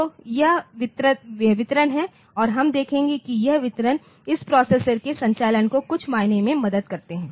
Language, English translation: Hindi, So, this is the distribution and we will see that this distribution it also helps the op operation of this processor in some sense